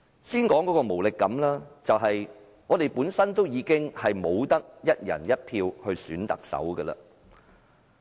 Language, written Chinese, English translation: Cantonese, 讓我先說無力感，就是我們不能夠"一人一票"選特首。, Let me first talk about the sense of powerlessness it means our inability to elect the Chief Executive by one person one vote